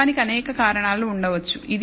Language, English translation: Telugu, There could be several reasons for this error